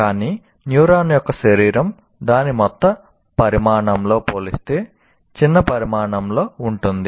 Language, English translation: Telugu, But the body of the neuron is extremely small in size and compared in comparison to its total size